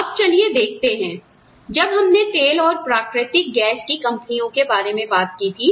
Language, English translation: Hindi, Now, let us see, when we talk about oil and natural gas companies